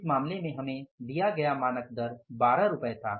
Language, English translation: Hindi, Standard rate given to us was 12 rupees